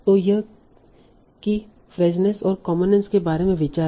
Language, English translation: Hindi, So this is the idea about key freshness and commonness